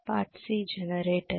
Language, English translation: Telugu, Part C is generator okay